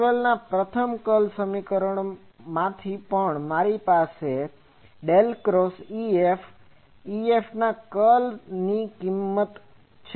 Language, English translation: Gujarati, Also from Maxwell’s first curl equation; I have the value for this del cross E F, curl of E F